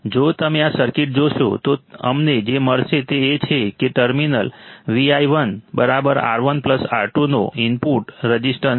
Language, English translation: Gujarati, If you see this circuit, what we will find is that the input resistance to terminal Vi1 will be nothing but R1 plus R2 right